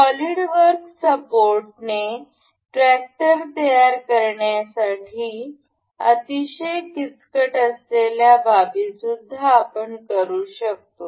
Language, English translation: Marathi, Solidworks also supports assembly of far more complicated items like to build this tractor we can see